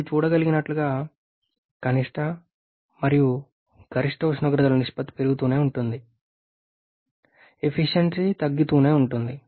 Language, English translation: Telugu, As you can see the ratio of minimum to maximum temperature that keeps on increasing deficiency also keeps on reducing